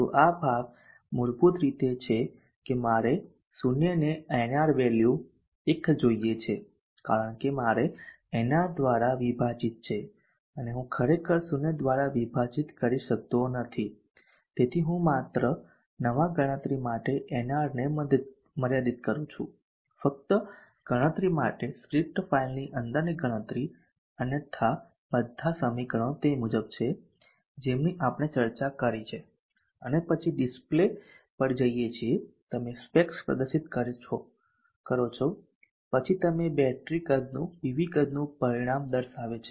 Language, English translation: Gujarati, So this portion is basically that I want o clamp the an R value to one because I have a division by nR and I cannot actually do a division by zero, so therefore I am limiting NR to one with a new variable nrr just for calculation computation within the script file otherwise all the equations are as we have discussed and then going to the display you will display the specs then you display the battery sizing itself and the TV sides results, so this will give you the entire system design let me now see let us now see how we run this in octave